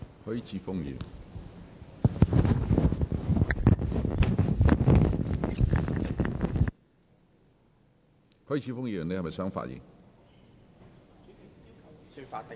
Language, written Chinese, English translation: Cantonese, 許智峯議員，你是否想發言？, Mr HUI Chi - fung do you wish to speak?